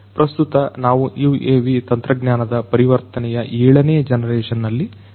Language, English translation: Kannada, So, currently we are in the seventh generation of UAV technology transformation